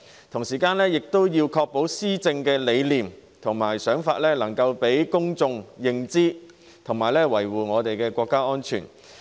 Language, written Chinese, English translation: Cantonese, 同時，政府亦要確保施政理念及想法能讓公眾認知，維護國家安全。, At the same time the Government also needs to ensure that its philosophy of governance and ideas can be understood by the public and safeguard national security